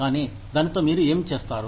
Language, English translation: Telugu, But, what do you do, with it